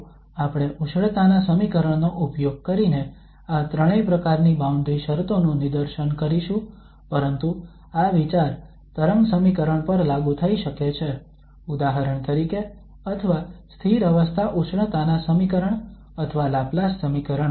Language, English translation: Gujarati, So we will demonstrate all these 3 types of boundary conditions using the heat equations but the idea can be applied to the wave equation, for instance or the steady state heat equation or the Laplace equation